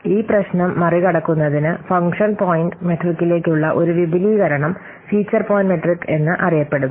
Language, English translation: Malayalam, In order to overcome this problem, an extension to the function point metric is there, which is known as feature point metric